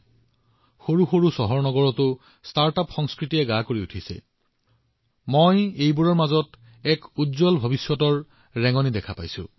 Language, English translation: Assamese, Today, the startup culture is expanding even to smaller cities and I am seeing it as an indication of a bright future